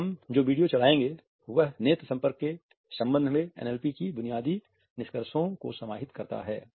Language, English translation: Hindi, The video which we would play right now encapsulates the basic findings of NLP as far as eye contact is concerned